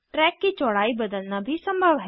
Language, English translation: Hindi, It is also possible to change the track width